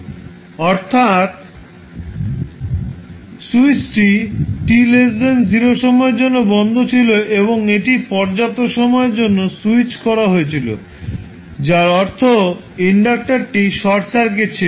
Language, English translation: Bengali, So, when switch is closed for time t less than 0 and it was switched on for sufficiently long time it means that the inductor was short circuited